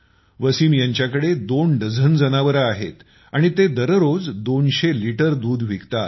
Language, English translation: Marathi, Wasim has more than two dozen animals and he sells more than two hundred liters of milk every day